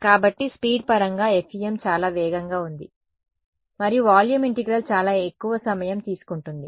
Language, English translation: Telugu, So, in terms of speed FEM was very very fast and volume integral is much more time consuming